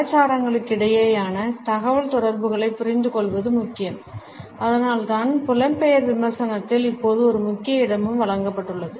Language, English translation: Tamil, It is important to understand the inter cultural communication and that is why it is also given an important place now in the Diaspora criticism